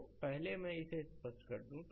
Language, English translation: Hindi, So, first let me clear it